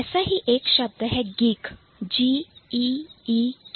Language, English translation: Hindi, One such word is geek